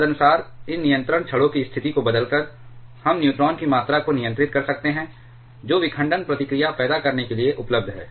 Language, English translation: Hindi, Accordingly, by changing the position of these control rods, we can control the amount of neutrons that are available to cause fission reaction